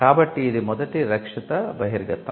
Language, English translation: Telugu, So, that is the first protected disclosure